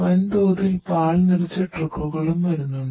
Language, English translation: Malayalam, Also trucks loaded with lot of bulk milk is also coming